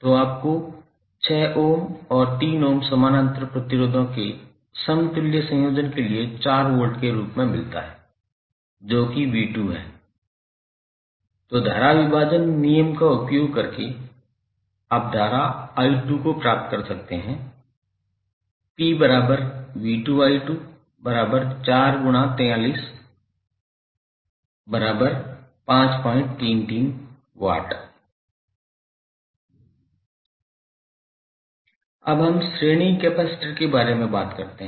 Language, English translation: Hindi, So you get the value as 2 Volt for the, the equivalent combination of 6 Ohm and 3 Ohm parallel resistors, you get the value of V2 as 4pi, then using current division rule, you can find the value of current i2 and now using the formula p is equal to v2i2 you can find out the value of power dissipated in the resistor